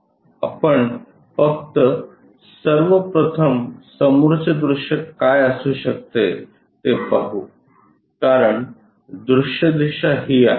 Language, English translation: Marathi, Let us just first of all visualize it what might be the front view, because direction is this